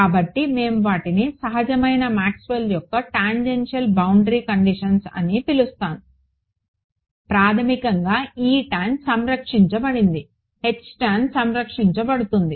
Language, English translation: Telugu, So, we are I am calling them natural Maxwell’s tangential boundary condition right/ Basically E tan is conserved, H tan is conserved